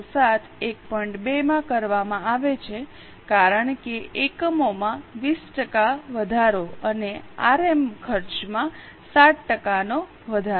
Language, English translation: Gujarati, 2 because 20% increase in the units and 7% increase in the RM cost